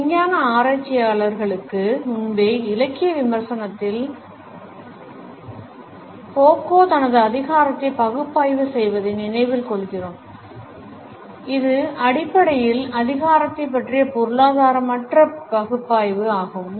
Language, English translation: Tamil, In literary criticism even prior to these scientific researchers we remember Foucault for his analysis of power which is basically a non economist analysis of power